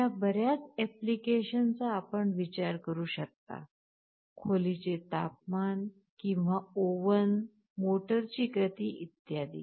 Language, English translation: Marathi, There can be many applications you can think of; temperature of the room or an oven, speed of a motor, etc